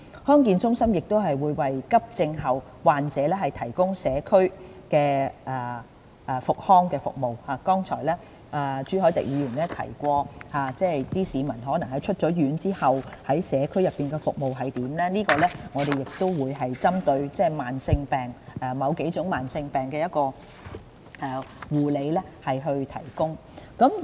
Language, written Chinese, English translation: Cantonese, 康健中心亦會為急症後患者提供社區復康服務，剛才朱凱廸議員提到有些市民可能在出院後於社區內接受服務，在這方面，我們會針對某幾種慢性疾病提供護理。, DHCs will also provide people recovering from acute illnesses with community rehabilitation services because as pointed out by Mr CHU Hoi - dick earlier it may perhaps be necessary for some of these patients to receive such services in the community after they have been discharged from hospital . In this connection rehabilitation care services for several types of chronic diseases will be offered